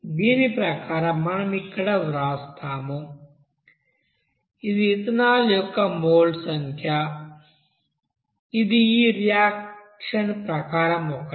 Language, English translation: Telugu, So according we can write here, it will be basically number of moles of that ethanol is according to this reaction is one